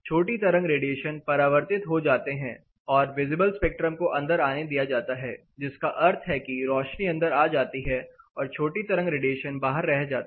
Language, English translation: Hindi, The short wave radiations are reflected back, while the visible spectrum is allowed in that means, it allows light to pass through, but it cuts down in the short way radiation